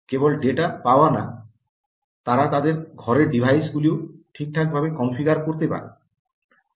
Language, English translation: Bengali, not only get data, but also configure this ah their home devices